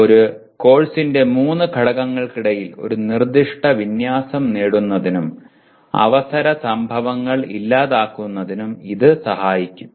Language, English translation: Malayalam, It can facilitate achieving a specified alignment among the three elements of a course and eliminate chance occurrences